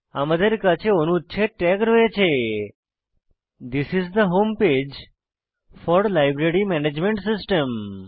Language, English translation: Bengali, Next, we have paragraph tag that includes, This is the home page for Library Management System